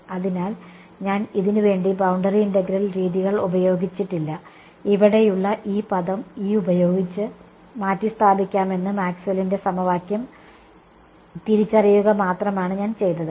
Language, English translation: Malayalam, So, far I have not yet invoked boundary integral methods, all I did was to recognize Maxwell’s equation saying that this term over here can be replaced by E